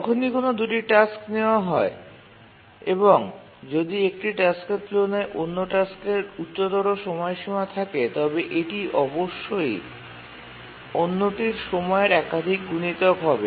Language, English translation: Bengali, Whenever we take two tasks, if one task has a higher period than the other task then it must be a multiple of the period